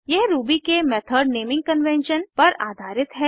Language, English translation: Hindi, This is based on the method naming convention of Ruby